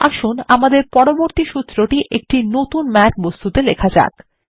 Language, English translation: Bengali, Let us write our next formula in a new Math object here